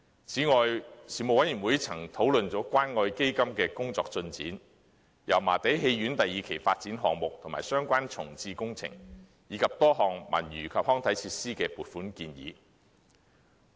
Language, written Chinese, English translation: Cantonese, 此外，事務委員會曾討論關愛基金的工作進展、油麻地戲院第二期發展項目及相關重置工程，以及多項文娛及康樂設施的撥款建議。, In addition the Panel also discussed the work progress of the Community Care Fund the Phase II development of Yau Ma Tei Theatre project and the related reprovisioning project and a number of funding proposals for the provision of sports and recreation facilities